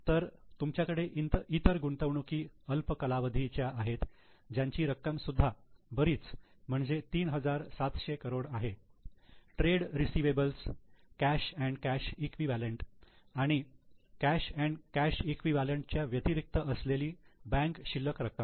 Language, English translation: Marathi, So, you have got other investments short term which is also a substantial amount, 3,700 crores, trade receivables, cash and cash equivalent, bank balances other than cash and cash equivalent